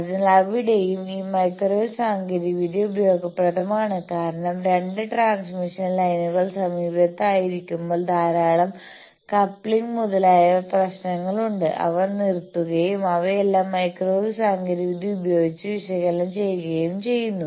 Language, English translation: Malayalam, So, there also this microwave technology is useful because when two transmission lines are nearby there is lot of coupling issues, etcetera was stopped and all those are analysed by these technology of microwave